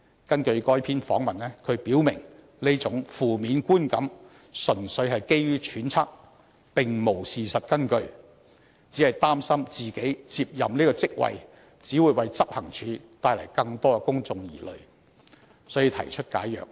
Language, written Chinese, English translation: Cantonese, 根據該篇訪問，他表明這種負面觀感純粹基於揣測，並無事實根據，只是擔心自己接任這職位會為執行處帶來更多公眾疑慮，所以才提出解約。, As recorded in the interview report he said very clearly that the negative perception was based purely on speculations and not backed up by any facts . But since he was worried that his taking over the post would only give rise to more public concerns he offered to resolve his agreement